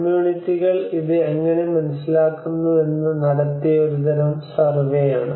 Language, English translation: Malayalam, You know this is a kind of survey which have done how the communities have understood this